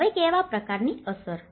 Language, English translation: Gujarati, Now, what kind of impact